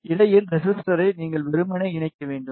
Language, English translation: Tamil, You need to just simply connect the resistor in between